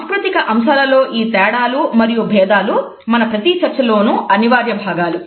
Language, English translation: Telugu, These aspects of cultural variations and differences would be a compulsory part of each of our discussion